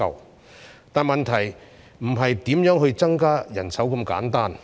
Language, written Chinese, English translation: Cantonese, 不過，問題不僅是如何增加人手那麼簡單。, Nonetheless the problem is not simply an issue about how to increase manpower